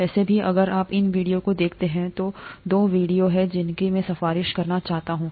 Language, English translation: Hindi, Anyway, if you look at these videos, there are two videos that I’d like to recommend